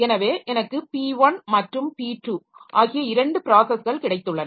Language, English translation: Tamil, So, it may so happen that I have got two processes P1 and P2